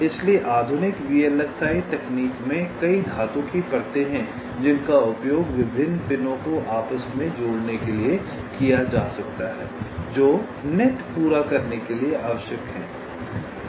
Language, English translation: Hindi, so so in the modern day vlsi technology, there are several metal layers which can be used for interconnecting different pins which are required to complete the nets